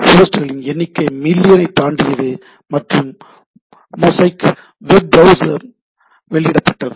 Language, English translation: Tamil, Number of host cross millions and Mosaic web browser are launched right